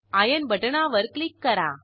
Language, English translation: Marathi, Let us click on Iron button